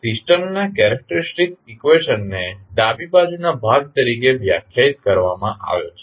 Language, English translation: Gujarati, Characteristic equation of the system is defined as the left side portion